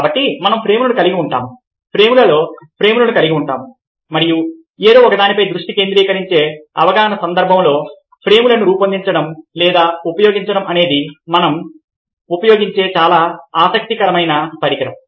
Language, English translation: Telugu, so we keep on having frames, frames within frames and in the context of perception or focusing on something, framing or using frames is a very interesting device that we use